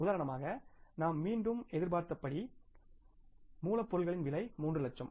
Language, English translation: Tamil, For example we had anticipated the again the raw material cost as 3 lakhs